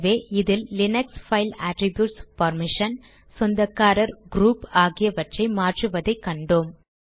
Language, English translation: Tamil, So in this tutorial we have learnt about the Linux Files Attributes like changing permission, ownership and group of a file